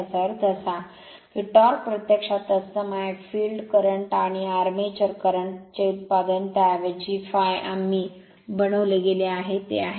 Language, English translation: Marathi, That means, your torque actually proportional to then, your field current product of field current and armature current right instead of phi we are made it is I f